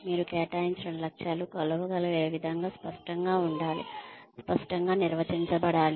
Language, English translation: Telugu, The goals that you assign, should be measurable, should be tangible, should be clearly defined